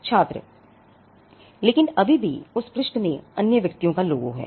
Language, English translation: Hindi, Student: But still in that page that the other persons logo, or whatever